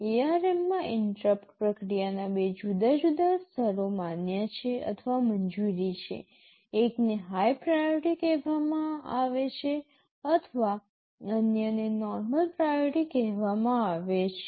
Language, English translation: Gujarati, In ARM two different levels of interrupt processing are permissible or allowed, one is called high priority or other is called normal priority